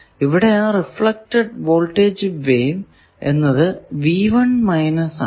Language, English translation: Malayalam, What is the reflected voltage